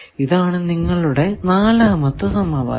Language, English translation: Malayalam, This we are calling first equation